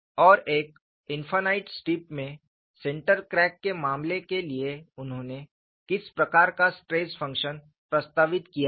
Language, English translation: Hindi, And what is the kind of stress function that he had proposed for the case of central crack in an infinite strip